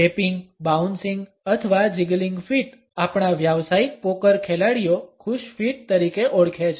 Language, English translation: Gujarati, Tapping bouncing or jiggling feet; our professional poker players refer to as happy feet